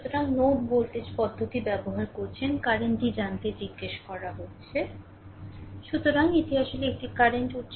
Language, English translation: Bengali, So, you are using the node voltage method, you have been asked to find out the current